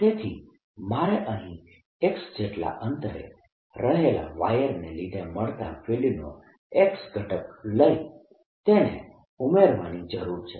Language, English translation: Gujarati, so all i need to do is take the x component of this field due to a wire at a distance, x and arrow distance here